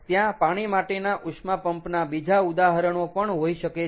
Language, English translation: Gujarati, there can be other examples of water, water heat, water, water heat pump